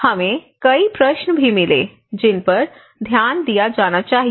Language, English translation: Hindi, So, we also got key questions that are to be addressed